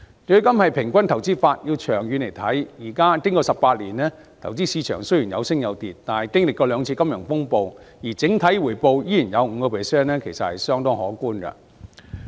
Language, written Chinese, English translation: Cantonese, 強積金是平均投資法，要看長遠表現，經過18年，投資市場雖然有升有跌，但經歷過兩次金融風暴整體回報率仍然有 5%， 其實是相當可觀的。, MPF is an average investment method and subject to long - term performance . After 18 years of ups and downs in the investment market and two financial turmoils its overall rate of return still stands at an impressive level of 5 %